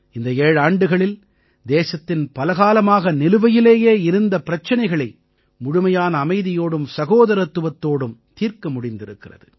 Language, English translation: Tamil, In these 7 years, many old contestations of the country have also been resolved with complete peace and harmony